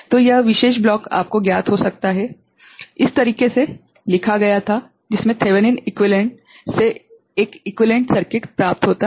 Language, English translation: Hindi, So, this particular block, this particular block can be you know, written in this manner with a equivalent circuit obtained from Thevenin equivalent